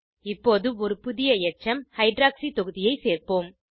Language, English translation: Tamil, Lets now add a new residue Hydroxy group